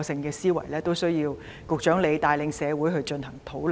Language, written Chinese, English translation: Cantonese, 這實在需要局長帶領社會進行討論。, It is for the Secretary to guide discussion in the community